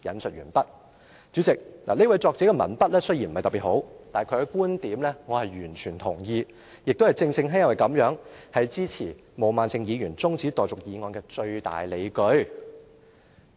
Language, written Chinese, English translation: Cantonese, "代理主席，這位作者的文筆雖然不是特別好，但其觀點我是完全同意，亦正正因為這樣，是我支持毛孟靜議員提出辯論中止待續的議案的最大理據。, Deputy President the columnists language is not particularly impressive . But I totally support his viewpoint . And this viewpoint is precisely the biggest reason for my support of Ms Claudia MOs adjournment motion